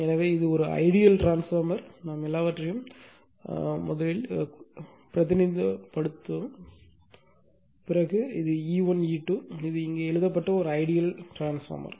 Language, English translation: Tamil, So, then this is an ideal transformer the way we have represented everything as it this E 1 E 2 this is an ideal transformer that is written here, right